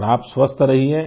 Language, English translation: Hindi, And you stay healthy